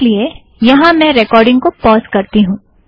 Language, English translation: Hindi, In view of this, I will do a pause of the recording